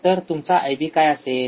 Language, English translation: Marathi, So, what will be your I B